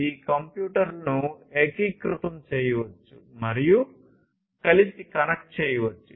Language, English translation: Telugu, And these can these computers can be integrated together; they can be connected together